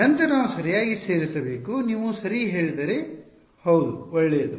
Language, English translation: Kannada, Then we should include correct you are right yeah good